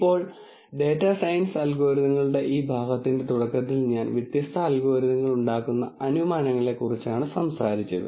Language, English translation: Malayalam, Now remember at the beginning of this portion of data science algorithms I talked about the assumptions that are made by different algorithms